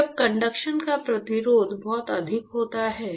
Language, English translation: Hindi, Right so, when the resistance to conduction is very high